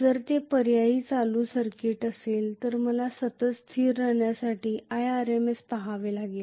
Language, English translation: Marathi, If it is an alternating current circuit I have to look at i RMS to be a constant ultimately